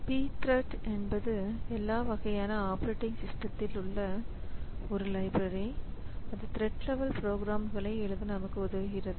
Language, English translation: Tamil, So, P Threads is one of the libraries that is available in many of the operating systems that helps us in writing thread level programs that can utilize this thread concept